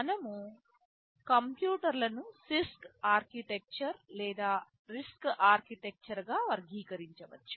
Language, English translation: Telugu, We can classify computers as either a CISC architecture or a RISC architecture